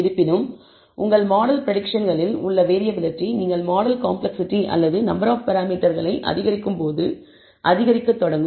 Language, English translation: Tamil, However, the variability in your model predictions that will start increasing as you increase the model complexity or number of parameters